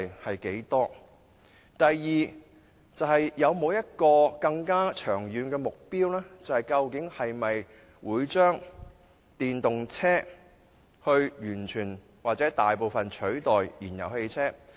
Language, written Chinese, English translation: Cantonese, 第二，當局有沒有更長遠的目標，會否以電動車完全或大部分地取代燃油汽車？, Secondly has the Government formulated a longer term objective to replace fuel - engined vehicles completely or largely with electric vehicles?